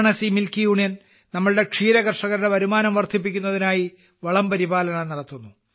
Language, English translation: Malayalam, Varanasi Milk Union is working on manure management to increase the income of our dairy farmers